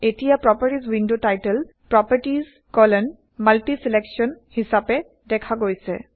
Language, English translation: Assamese, Now, the Properties window title reads as Properties MultiSelection